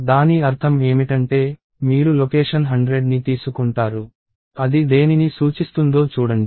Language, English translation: Telugu, The meaning of that is, you take location 100 see, what that is pointing to